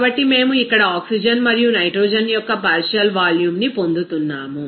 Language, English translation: Telugu, So, we are getting here partial volume of that component oxygen and nitrogen